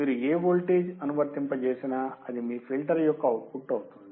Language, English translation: Telugu, Whatever voltage you apply, it is the output of your filter